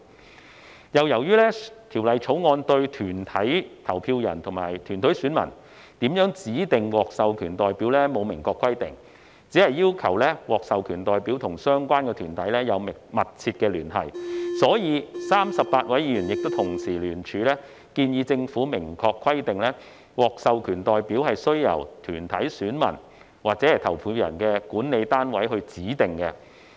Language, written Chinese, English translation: Cantonese, 此外，由於《條例草案》對團體投票人及團體選民如何指定獲授權代表沒有明確規定，只要求獲授權代表與相關團體有密切聯繫，故此 ，38 位議員亦同時聯署建議政府明確規定獲授權代表須由團體選民或投票人的管理單位指定。, Moreover the Bill did not specify how corporate voters and corporate electors should appoint an authorized representative . It only required the authorized representative to have a substantial connection with the body concerned . For this reason the 38 Members also jointly proposed that the Government explicitly require the authorized representative to be appointed by the governing authority of the corporate elector or voter